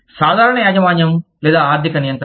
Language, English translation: Telugu, Common ownership or financial control